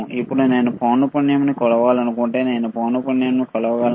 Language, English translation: Telugu, Now, if I want to measure the frequency, can I measure the frequency, right